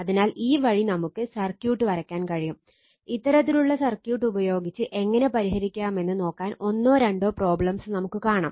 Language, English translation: Malayalam, So, this way you can draw the circuit, even you will see one or two problem that how to solve using this kind of circuit right